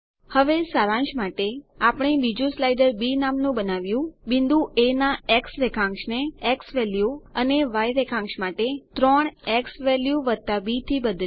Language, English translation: Gujarati, Now to summarize, we made another slider named b, altered point A coordinate to xValue and 3 xValue + b for the y coordinate